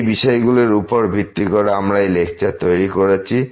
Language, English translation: Bengali, So, these are the references which we have used to prepare these lectures